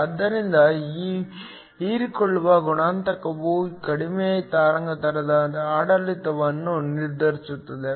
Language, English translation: Kannada, So, This absorption coefficient determines the lower wavelength regime